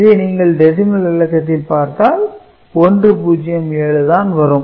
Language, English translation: Tamil, So, if you look at in decimal it is also in 1 0 7 you can add it up then see